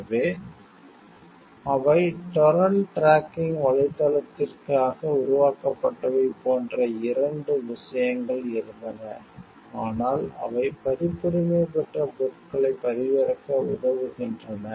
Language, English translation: Tamil, So, there were two things like one is they were made for torrent tracking website, but they were helping to download copyrighted materials